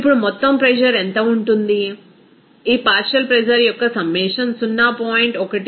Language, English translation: Telugu, Now, what will be the total pressure, simply that summation of this partial pressure that will be 0